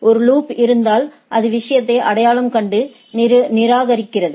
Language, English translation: Tamil, If there is a loop it identifies and discard the thing